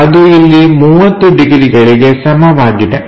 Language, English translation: Kannada, And, this angle 30 degrees